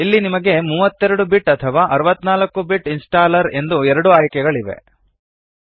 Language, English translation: Kannada, You have two options here a 32 bit or 64 bit installer